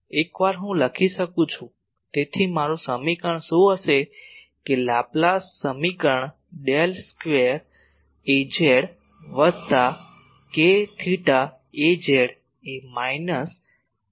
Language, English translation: Gujarati, Once this is there I can write, so what will be my equation that Laplace equation Del square A z plus k not A z is equal to minus mu not Jz